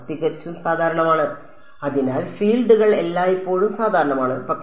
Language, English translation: Malayalam, Purely normal right so, the fields are always normal, but